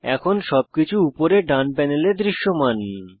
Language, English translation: Bengali, All the contacts are now visible in the top right panel